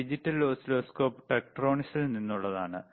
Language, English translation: Malayalam, So, again, this oscilloscope, ddigital oscilloscope is from tTektronix,